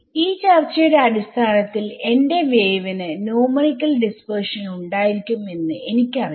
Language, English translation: Malayalam, I am saying, I know based on this discussion I know that my wave will have numerical dispersion I want to mitigate that effect